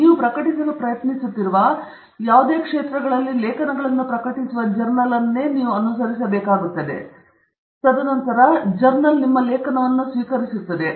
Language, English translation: Kannada, You have to pick a journal which pertains to, which publishes articles in the same area that you are trying to publish, and then, the journal will receive your article